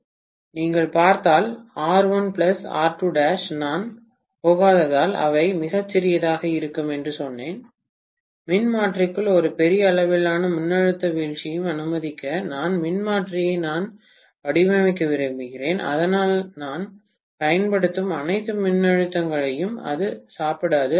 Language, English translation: Tamil, And if you look at R1 plus R2 dash, I told you that they will be very very small because I am not going to really let a huge amount of voltage drop within the transformer, I want to design the transformer well so that it doesn’t eat away all the voltage that I am applying, right